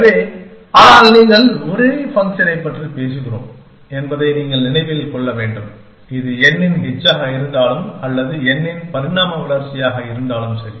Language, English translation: Tamil, So, but you must keep in mind that, we are talking about the same function; whether it is h of n or evolve of n